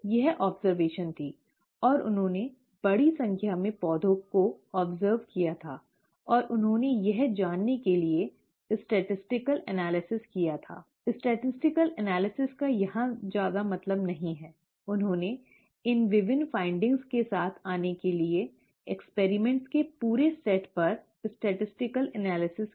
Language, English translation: Hindi, This was the observation, and he had observed this over a large number of plants and he did a statistical analysis to find that, a statistical analysis of course does not mean much here; he did statistical analysis over the entire set of experiments to come up with these various findings